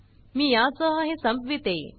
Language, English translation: Marathi, Let me finish with this